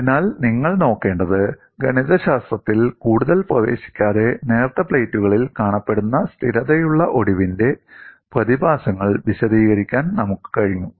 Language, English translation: Malayalam, So, what you will have to look at is, without getting into much of mathematics, we have been able to explain the phenomena of stable fracture that is seen in thin plates